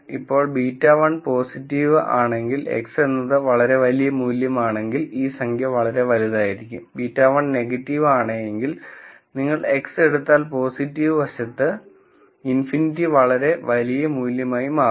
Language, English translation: Malayalam, Now if beta 1 is positive, if you take X to be a very very large value, this number will become very large, if beta 1 is negative, if you take X to be very very large value in the positive side this number will become minus infinity